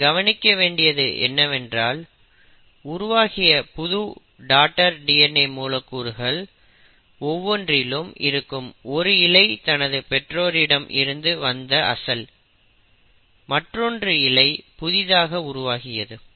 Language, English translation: Tamil, But what you notice is in each new daughter DNA molecule one strand is the parental strand which came from the original DNA while one strand is the newly synthesised strand